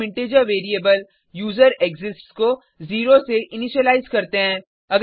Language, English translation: Hindi, Then we initialize the integer variable userExists to 0